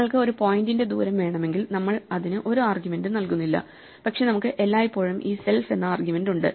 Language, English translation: Malayalam, If you want the distance of a point, we do not give it any arguments, but we always have this default argument self